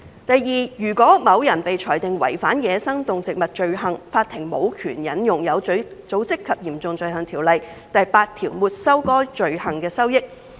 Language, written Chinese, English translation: Cantonese, 第二，如果某人被裁定違反走私野生動植物罪行，法庭無權援引《有組織及嚴重罪行條例》第8條沒收該罪行的收益。, Secondly where a person has been convicted of a crime involving wildlife trafficking the Courts are not empowered to use section 8 of OSCO to confiscate the proceeds of that crime